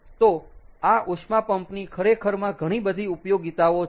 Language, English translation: Gujarati, so this heat pump actually is a has lots of applications